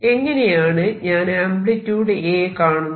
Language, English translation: Malayalam, Now how do I calculate the amplitude